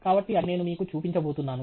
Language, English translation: Telugu, So, that something I am going to show you